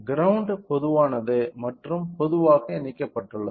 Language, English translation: Tamil, The grounds are common which is commonly connected